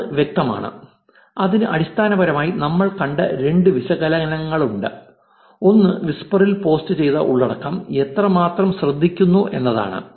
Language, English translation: Malayalam, And that is clear, that is basically has two analysis that we saw, one is how much you attention is the content posted on whisper is getting